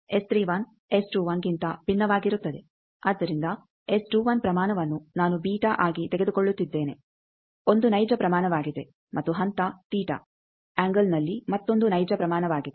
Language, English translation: Kannada, So, 31 I am taking the magnitude is beta, a real quantity and phase is theta another real quantity in angle